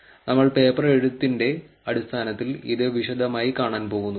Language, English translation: Malayalam, Now, we are going to actually see it in detail in terms of just paper writing